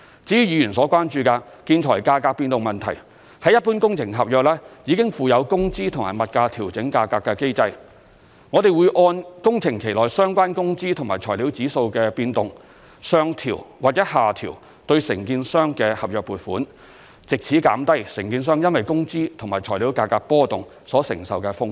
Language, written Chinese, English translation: Cantonese, 至於議員所關注的建材價格變動問題，一般工程合約已附有工資及物價調整價格的機制，我們會按工程期內相關工資和材料指數的變動，上調或下調對承建商的合約付款，藉此減低承建商因工資和材料價格波動所承受的風險。, As regards Members concern about fluctuation in prices of the construction materials there has been a mechanism in place for typical works contracts to allow adjustments of labour and materials prices . We follow the changes of the labour and materials price indices and adjust payments to the contractors upward or downward thereby reducing the contractors risk in respect of price fluctuations